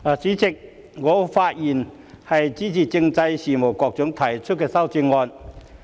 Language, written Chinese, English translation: Cantonese, 主席，我發言支持政制及內地事務局局長提出的修正案。, Chairman I speak in support of the amendments proposed by the Secretary for Constitutional and Mainland Affairs